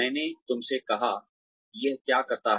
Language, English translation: Hindi, I told you, what it does